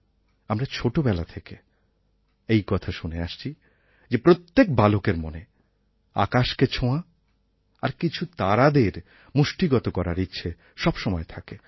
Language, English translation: Bengali, We have been hearing these things since childhood, and every child wishes deep inside his heart to touch the sky and grab a few stars